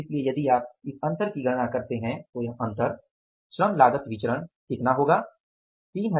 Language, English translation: Hindi, So, if you calculate this difference, this difference, labor cost variance difference works out as that how much